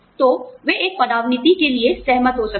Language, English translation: Hindi, So, they may agree to a demotion